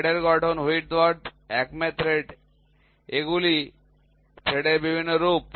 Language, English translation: Bengali, Form of threads, Whitworth, thread acme thread, these are different forms of threads